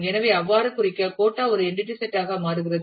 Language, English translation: Tamil, So, to represent so, quota becomes an entity set